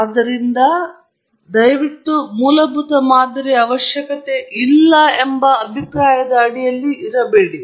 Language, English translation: Kannada, So, please don’t be under that impression that this is not required for a fundamental model